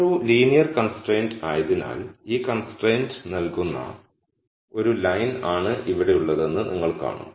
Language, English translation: Malayalam, So, since this is a linear constraint you will see that it is a line which is here which is what is given by this constraint